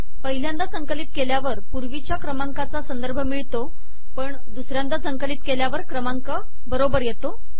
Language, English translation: Marathi, ON first compilation the reference gives the previous number, on second compilation the numbers become correct